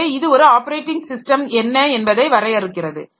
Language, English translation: Tamil, So, that defines what is an operating system